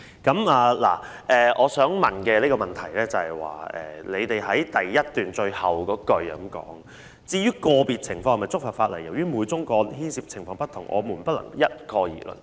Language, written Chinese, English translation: Cantonese, 當局在主體答覆第一部分最後一段表示："至於個別情況是否觸犯法例，由於每宗個案牽涉的情況不同，不能一概而論。, The Administration has stated in the last paragraph of part 1 of the main reply that [a]s regards whether individual cases contravene the law the circumstances of every case are different and cannot be generalized